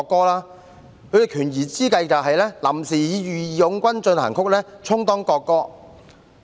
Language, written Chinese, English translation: Cantonese, 他們的權宜之計是臨時以"義勇軍進行曲"充當國歌。, They adopted a temporary expedient of using March of the Volunteers as the national anthem